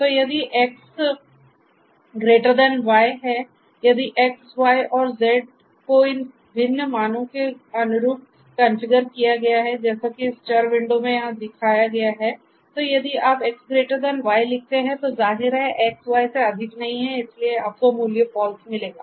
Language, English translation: Hindi, So, X greater than Y, if X, Y and Z are configured to have these different values corresponding values as shown over here in this variable window so then if you write X greater than Y, obviously, X is not greater than Y, so you will get the value false